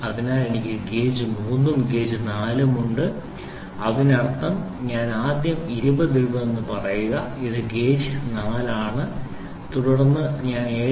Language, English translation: Malayalam, So, I have gauge 3 and gauge 4 that means, to say I would first put 20 this is gauge 4, then I put 7